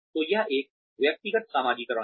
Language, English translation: Hindi, So, that is an individual socialization